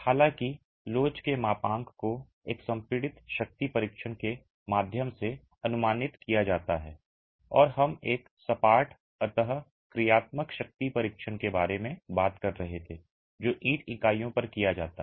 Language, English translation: Hindi, However, the modulus of elasticity is estimated through a compressive strength test and we were talking about a flatwise compressive strength test that is carried out on brick units